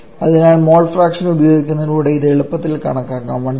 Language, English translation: Malayalam, Sorry, the mole fractions so using the mole fractions, so can easily calculate this to be 132